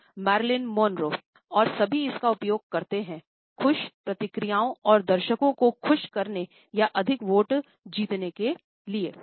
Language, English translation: Hindi, And all home use it to engender happy reactions and their audiences or to win more votes